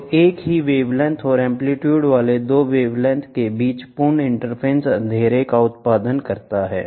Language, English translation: Hindi, So, complete interference between the 2 wavelengths having the same wavelength and amplitude produces your darkness